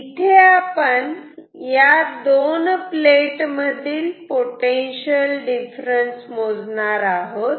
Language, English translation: Marathi, We are going to measure the potential difference between these two plates